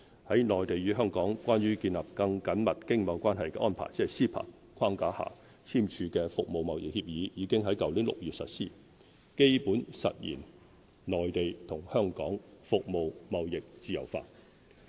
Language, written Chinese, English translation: Cantonese, 在"內地與香港關於建立更緊密經貿關係的安排"框架下簽署的《服務貿易協議》已於去年6月實施，基本實現內地與香港服務貿易自由化。, The Agreement on Trade in Services signed under the framework of the MainlandHong Kong Closer Economic Partnership Arrangement CEPA was implemented in June last year to basically achieve liberalization of trade in services between the Mainland and Hong Kong